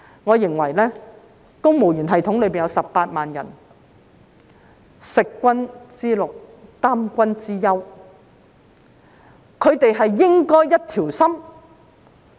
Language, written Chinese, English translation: Cantonese, 我認為公務員系統有18萬人，食君之祿，擔君之憂，他們應該一條心。, In my opinion the 180 000 employees in the civil service are paid to help the Government solve problems . They should all be of one mind